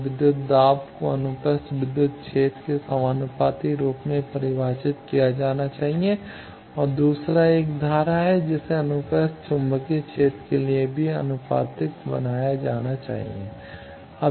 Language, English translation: Hindi, So, voltage should be defined proportional to the transverse electric field is the first and the second one is the current also should be made proportional to transverse magnetic field